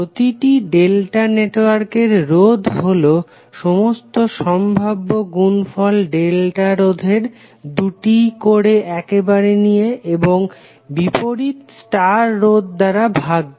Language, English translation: Bengali, Each resistor in delta network is the sum of all possible products of delta resistors taken 2 at a time and divided by opposite star resistor